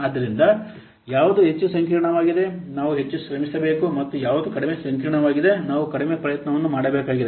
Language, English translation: Kannada, So which one is highly complex, we have to put more effort and which one is less complex, we have to put less effort